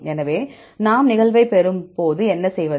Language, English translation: Tamil, So, when we get the occurrence then what to do